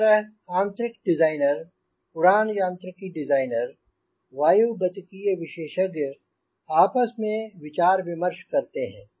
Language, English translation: Hindi, a interior designer, flight mechanics designer, aerodynamics, they quarrel